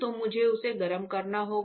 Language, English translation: Hindi, So, I have to heat this